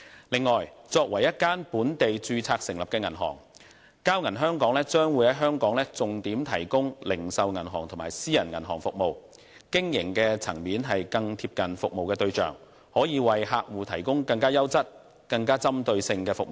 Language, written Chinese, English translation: Cantonese, 此外，作為一間本地註冊成立的銀行，交銀香港將於香港重點提供零售銀行及私人銀行服務，經營層面更貼近服務對象，能夠為客戶提供更優質及更具針對性的服務。, Furthermore as a locally incorporated bank Bank of Communications Hong Kong will primarily operate retail banking and private banking businesses in Hong Kong . Its operation will come closer to its service targets and will be able to provide more premium and targeted services to its customers